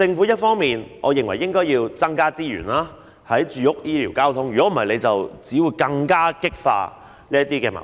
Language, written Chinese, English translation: Cantonese, 因此，我認為政府應增加住屋、醫療和交通的資源，否則只會更加激化矛盾。, It is therefore my opinion that the Government should increase the resources for housing provision health care and transport services lest social conflicts will be further intensified